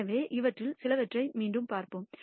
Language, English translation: Tamil, So, let us recap some of these